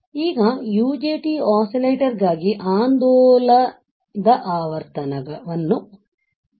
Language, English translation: Kannada, So, now I have my oscillating frequency for UJT oscillator